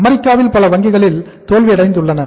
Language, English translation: Tamil, Many banks failed in US